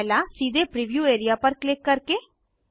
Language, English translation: Hindi, One by clicking directly in the preview area..